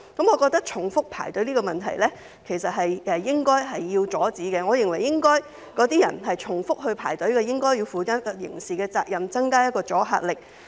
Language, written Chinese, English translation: Cantonese, 我覺得重複排隊這個問題是應該阻止的，我認為重複排隊的那些人應該負上刑責，以增加阻嚇力。, In my view the problem of queuing up repeatedly should be stopped . I think those who queue up repeatedly should be held criminally liable to increase the deterrent effect